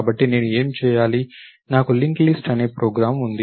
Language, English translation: Telugu, So, what do I do, I have a program called LinkList